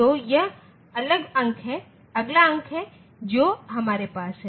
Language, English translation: Hindi, So, this is the next digit that we have